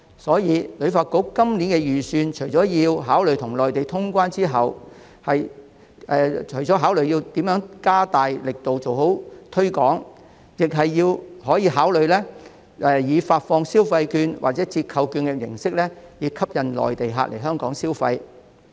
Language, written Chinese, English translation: Cantonese, 因此，旅發局在今年的預算中，除了要考慮與內地通關後如何加大力度做好推廣工作，亦可考慮以發放消費券或折扣券的形式吸引內地客來港消費。, Therefore regarding HKTBs budget this year apart from considering how promotional efforts can be strengthened after resuming cross - boundary travel with the Mainland it may also consider attracting Mainland visitors to come and spend in Hong Kong by issuing consumption or discount vouchers